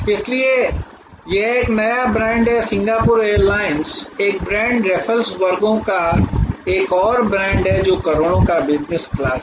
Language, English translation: Hindi, So, it is a new brand Singapore airlines is a brand raffles classes another brand, which crores they are business class